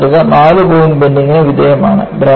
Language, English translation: Malayalam, The specimen is subjected to four point bending